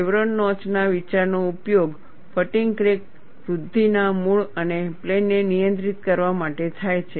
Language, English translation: Gujarati, The idea of the chevron notch is used to control the origin and plane of fatigue crack growth